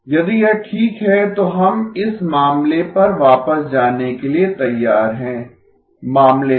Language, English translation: Hindi, If this is alright, then we are ready to go back to this case, to case